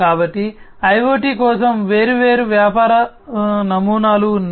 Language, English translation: Telugu, So, there are different business models for IoT